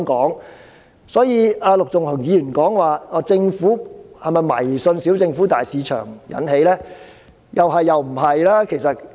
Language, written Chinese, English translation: Cantonese, 陸頌雄議員質疑這是否因為政府迷信"小政府，大市場"所致，我認為是"是"和"不是"。, Mr LUK Chung - hung queried if this should be attributed to the Governments blind faith in small government and big market . I think the answer is yes and no